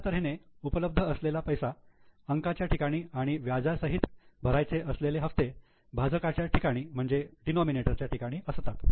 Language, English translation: Marathi, So, this much is a money available is kept as a numerator and the installment to be paid and the interest including the interest is to be kept as a denominator